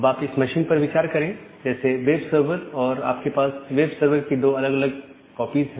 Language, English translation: Hindi, Now, you can think of this machine such the web servers and you have two different copies of the web server